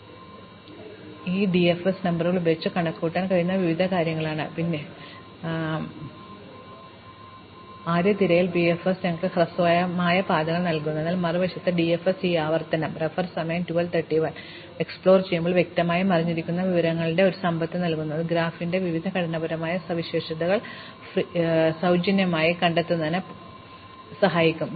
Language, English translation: Malayalam, So, these are various things that can be computed using these DFS numbers, we will see some of these computations in later lectures, but this makes DFS actually a much more useful exploration strategy than breadth first search the BFS does give us shortest paths, but on the other hand DFS gives as a wealth of information which is implicitly hidden in this recursive order of exploration which we can exploit to find out various structural properties of the graph for free more or less while we are doing DFS, we can find out many, many interesting things about the graph